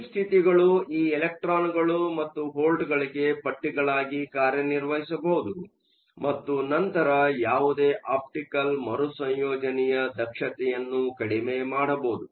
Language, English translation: Kannada, Deep states can also act as straps for these electrons and volts and then decrease the efficiency of any optical recombination